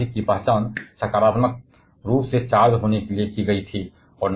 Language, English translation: Hindi, The heavier nucleus was identified to be positively charged